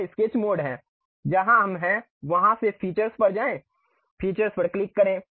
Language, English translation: Hindi, This is the Sketch mode where we are in; from there go to Features, click Features